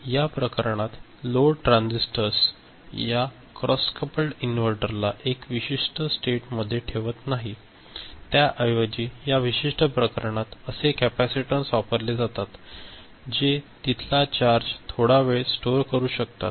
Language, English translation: Marathi, In this case, it is those load transistors are not there holding the cross coupled inverter in one particular state value, rather the capacitances that are there which can store charges for a short time, they are used in this particular case